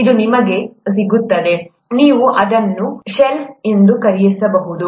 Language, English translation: Kannada, This you get, you can buy it off the shelf